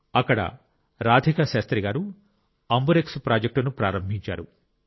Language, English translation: Telugu, Here Radhika Shastriji has started the AmbuRx Amburex Project